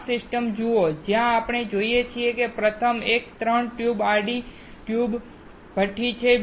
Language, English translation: Gujarati, Look at this system where we see that the first one is a 3 tube horizontal tube furnace